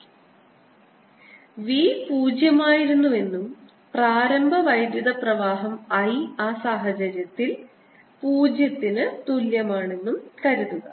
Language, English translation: Malayalam, suppose v was zero and there is an initial current i equals i zero